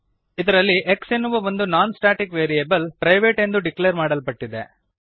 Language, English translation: Kannada, In this we have a non static variable as x declared as private